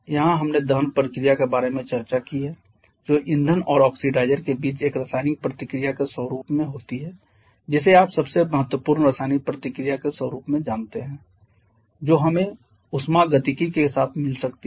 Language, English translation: Hindi, So, this takes us to the end of the day here we have discussed about the combustion process which is a chemical reaction between fuel and oxidizer you know one of the most important kind of chemical reaction that we can get in conjunction with thermodynamics